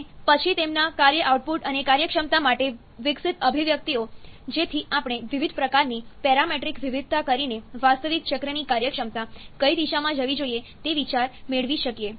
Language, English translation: Gujarati, And then the developed expressions for their work output and efficiency, so that we can get an idea in which direction the efficiency of an actual cycle should go by doing different kind of parametric variation